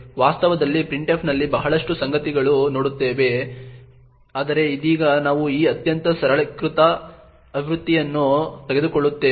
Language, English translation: Kannada, In reality a lot more things happen in printf but for now we will just take this highly simplified version